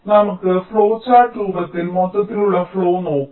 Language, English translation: Malayalam, so let us look at the overall flow in the form of flow chart